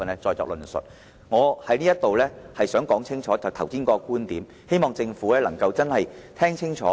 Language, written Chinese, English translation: Cantonese, 最後，我想再次清楚說明剛才的觀點，希望政府能夠聽得清楚。, Lastly I would like to reiterate the points I made earlier for I hope the Government will listen to them attentively